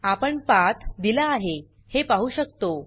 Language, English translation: Marathi, We can see that the path is given